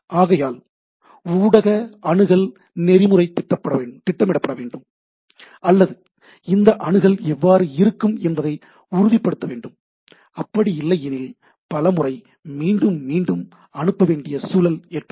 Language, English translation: Tamil, So, there should be some media access protocol need to be scheduled or need to be ensured that how this access will be there, otherwise what will happen there should be lot of retransmission